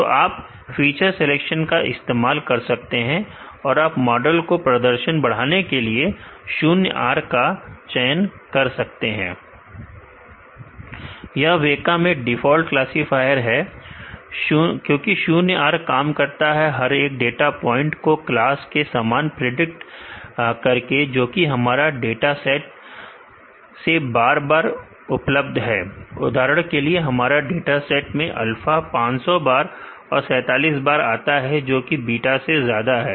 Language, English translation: Hindi, So, you can use feature selection to improve your model performance, let me choose ZeroR now, why ZeroR is a set as a default classifiers WEKA is because, ZeroR works by predicting every data point as the class which is available frequently in our dataset for example, in our dataset alpha occurs 500 and 47 times which is more than beta